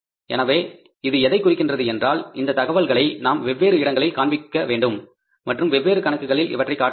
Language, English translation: Tamil, So it means we are going to show this information at the different places and for the on the different accounts